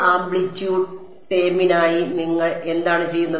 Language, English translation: Malayalam, For the amplitude term what do you do